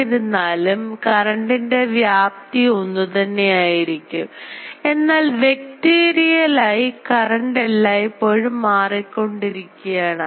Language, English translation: Malayalam, Though the ah current ah magnitude is same, but vectorially the current is always changing